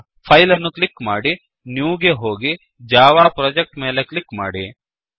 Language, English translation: Kannada, So click on File, go to New and click on Java Project